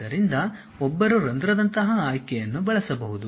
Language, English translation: Kannada, So, one can use a option like hole